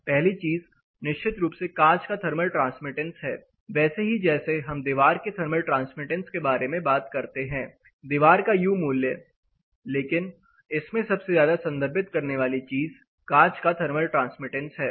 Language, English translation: Hindi, This first thing of course is thermal transmittance of glass, same as we talk about wall thermal transmittance U value of wall but most commonly referred thing is thermal transmittance of glass